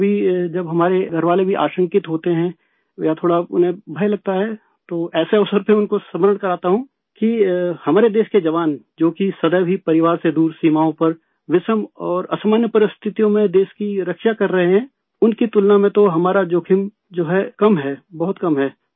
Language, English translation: Urdu, Sometimes when our family members are apprehensive or even a little scared, on such an occasion, I remind them that the soldiers of our country on the borders who are always away from their families protecting the country in dire and extraordinary circumstances, compared to them whatever risk we undertake is less, is very less